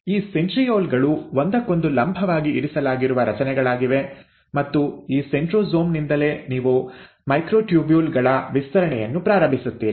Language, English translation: Kannada, Now these centrioles are structures which are placed perpendicular to each other, and it is from this centrosome that you start having extension of microtubules